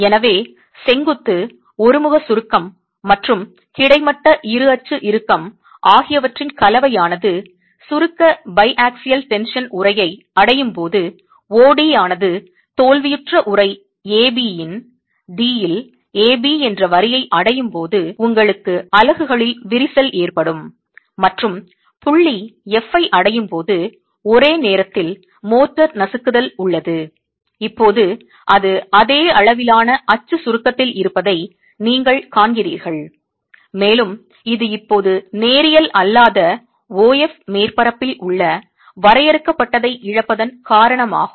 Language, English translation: Tamil, So to summarize when a combination of vertical uniaxial compression and horizontal bi axial tension reaches the compression bi axial tension envelope OD reaches the line AB at D of the failure envelope AB, you have the cracking of the units and a simultaneous crushing of the motor, you've reached point F now, you see that it's at the same level of axial compression and this is due to the loss of confinement on the nonlinear surface OF now